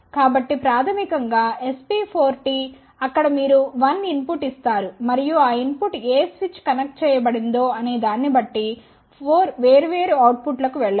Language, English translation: Telugu, So, basically SP4T there you give 1 input and that input can go to 4 different outputs depending upon which switches connected